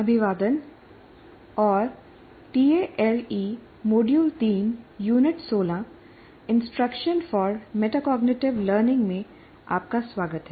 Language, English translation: Hindi, Greetings and welcome to Tale, Module 3, Unit 16 on Instruction for Metacognition